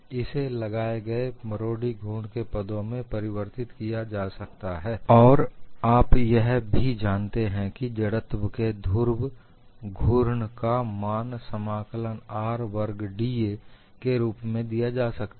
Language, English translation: Hindi, And this could be replaced in terms of the torsional moment, apply and you also know the polar moment of inertia is given as integral r square d A